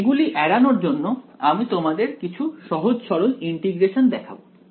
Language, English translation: Bengali, So, to avoid those, I am going to show you some very simple integrations